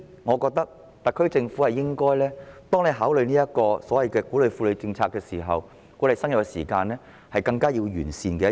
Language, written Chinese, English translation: Cantonese, 我認為，特區政府在考慮鼓勵婦女生育的政策時，這是更有需要完善地方。, I think that when the SAR Government considers any policies to encourage women to bear children this is the area in greater need of improvement